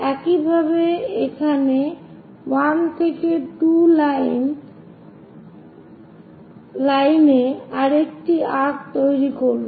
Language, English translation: Bengali, Similarly, make another arc from here 1 to 2 line